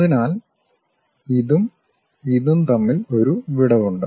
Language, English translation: Malayalam, So, there is a gap between this one and this one